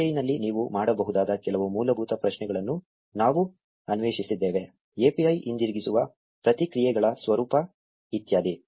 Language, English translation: Kannada, We have explored some basic queries that you can make in the API; the format of the responses that the API returns etcetera